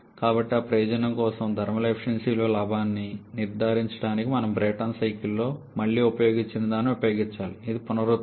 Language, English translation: Telugu, So, for that purpose in order to ensure the gain in the thermal efficiency we have to use something that again we have used in a Brayton cycle, which is the regeneration